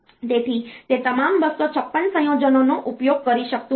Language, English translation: Gujarati, So, it may not be using all the 256 combinations